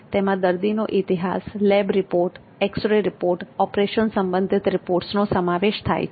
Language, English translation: Gujarati, It includes patient history, lab reports, x ray report, operative reports etc